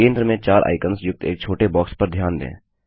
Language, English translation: Hindi, Notice a small box with 4 icons in the centre